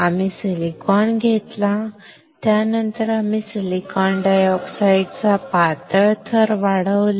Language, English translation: Marathi, We took silicon, then we have grown thin layer of silicon dioxide